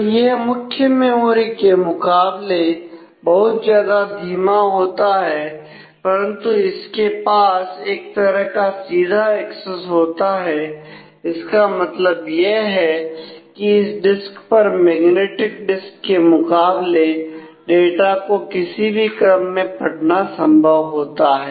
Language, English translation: Hindi, So, it is ways slower compare to the main memory and, but it is has a kind of direct access which means that it is possible to read data on this disk in any arbitrary order in compare to magnetic disk